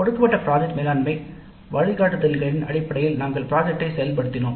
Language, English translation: Tamil, Then we implemented the project based on the given project management guidelines